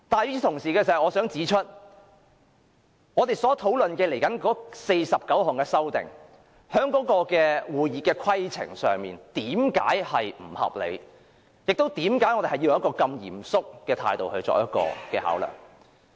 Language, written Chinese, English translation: Cantonese, 與此同時，我想指出為何我們接着討論的49項修訂在會議規程上並不合理，以及為何我們要抱持如此嚴肅的態度來考量。, At the same time I wish to point out why the 49 amendments in our following discussion are unreasonable according to the rules of order and why we should make consideration with such a grave attitude